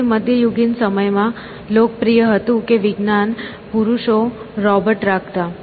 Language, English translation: Gujarati, So, it was popular in medieval times that learned men kept robots essentially